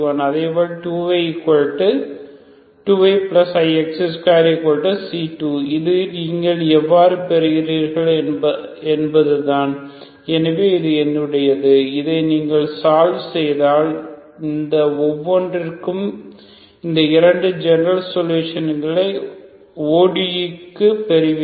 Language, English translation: Tamil, Similarly 2 Y plus I X square equal to C2 this is how you get your so this is my this how if you solve this you get these two general solutions for each of these ODE’s